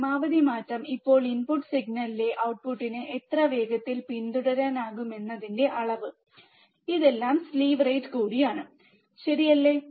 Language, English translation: Malayalam, Maximum change, now measure of how fast the output can follow the input signal, this is also the slew rate all, right